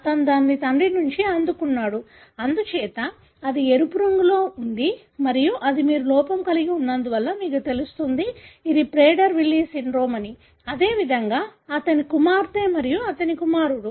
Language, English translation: Telugu, So, he received it from father, therefore it is red and that should be expressing since that is you know having defect you end up showing Prader Willi syndrome; likewise his daughter and his son